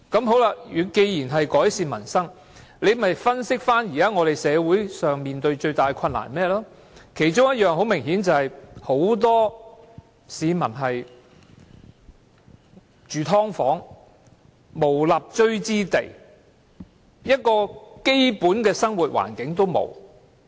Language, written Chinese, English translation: Cantonese, 好了，既然是要改善民生，那麼大可分析現時社會所面對最大的困難是甚麼，其中很明顯的一點就是很多市民現時要住"劏房"，無立錐之地，連基本的生活環境也沒有。, Well as it wishes to improve peoples livelihood it could have done an analysis of the greatest difficulties society is facing now . A significant one is obviously many people have to live in subdivided units now without even a tiny spot to stand and a basic living environment